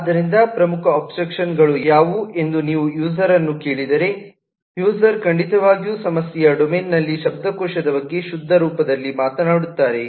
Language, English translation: Kannada, so if you ask the user is to what the key abstractions are, user certainly talks about the vocabulary of the problem domain in pure form